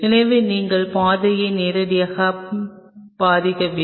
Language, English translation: Tamil, So, you are not in direct hit of the pathway